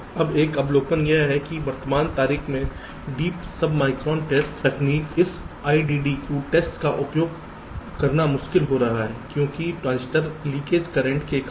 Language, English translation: Hindi, ok, now one observation is that in the present date deep sub micron test technology, this iddq testing ah is becoming difficult to use because the transistor leakage currents